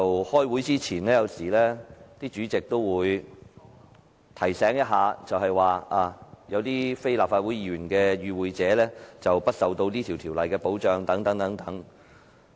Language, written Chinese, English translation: Cantonese, 開會前，主席有時會提醒大家有非立法會議員的與會者將不受此這條例的保障。, Non - Member participants are sometimes reminded during meetings that they are not protected by the Ordinance